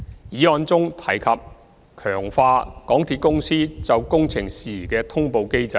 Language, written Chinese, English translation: Cantonese, 議案中提及強化港鐵公司就工程事宜的通報機制。, The motion has mentioned strengthening MTRCLs project management notification system